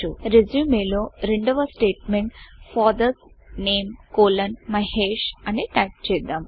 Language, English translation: Telugu, So we type the second statement in the resume as FATHERS NAME colon MAHESH